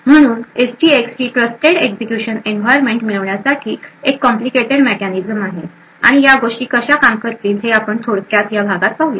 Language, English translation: Marathi, So SGX is quite a complicated mechanism to achieve this trusted execution environment and we will just see a very brief overview in this lecture about how these things would work